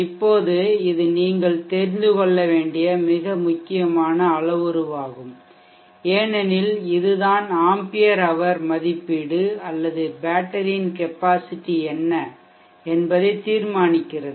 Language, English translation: Tamil, Now this is the important parameter that you should know because this tell you what is ampere rating capacitor of the battery that you will finally have to select